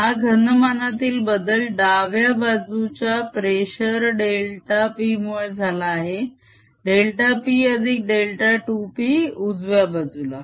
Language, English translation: Marathi, this change in volume is caused by the special delta p on the left side, delta p plus delta two p on the right hand side